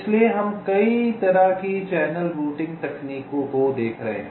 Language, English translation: Hindi, ok, so we shall be looking at a number of channel routing techniques